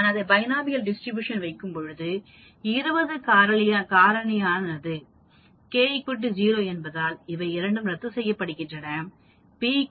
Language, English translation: Tamil, When I put it in Binomial Distribution, 20 factorial because k equal to 0, this two will get canceled out, p is equal to 0